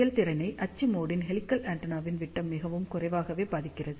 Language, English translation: Tamil, The performance is very little affected by the diameter of the axial mode helical antenna